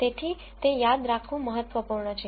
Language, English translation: Gujarati, So, it is an important idea to remember